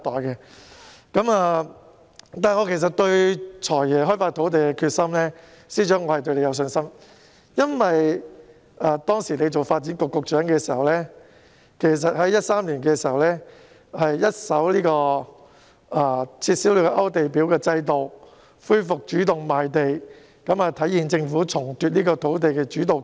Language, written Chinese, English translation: Cantonese, 然而，我其實對司長開發土地的決心是有信心的，因為當他擔任發展局局長時，曾在2013年一手撤銷勾地表制度，恢復主動賣地，顯示政府重奪土地主導權。, However I actually have confidence in the Financial Secretarys determination to develop land for when he served as the Secretary for Development he abolished the Application List system in 2013 to resume the Government - initiated sale mechanism . This indicated that the Government had regained the control of land supply